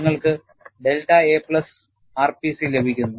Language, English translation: Malayalam, You will have delta a plus r p c